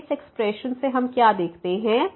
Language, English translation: Hindi, So, out of this expression what we see